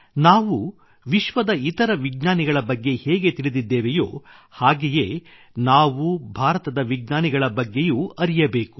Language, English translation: Kannada, The way we know of other scientists of the world, in the same way we should also know about the scientists of India